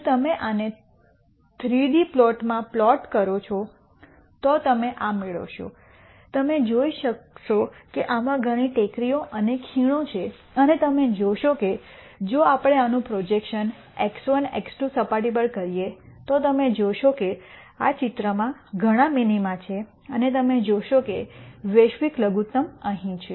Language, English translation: Gujarati, If you plot this in a three d plot you will get this you can see there are many hills and valleys in this and you will notice if we do the projection of this on to the x 1, x 2 surface you will see that there are several minima in this picture and you will see that the global minimum is here